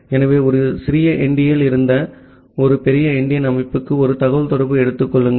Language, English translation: Tamil, So, assume a communication from a little endian to a big endian system